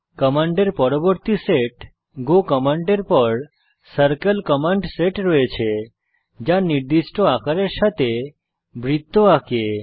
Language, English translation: Bengali, The next set of commands that is go commands followed by circle commands draw circles with the specified sizes